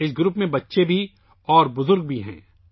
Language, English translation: Urdu, There are children as well as the elderly in this group